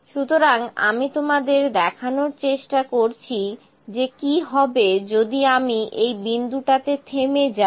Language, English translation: Bengali, So, let me try to see you what is if I limit at this point